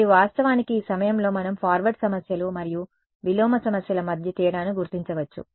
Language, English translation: Telugu, And, actually, at this point we can make a distinguish distinction between forward problems and inverse problems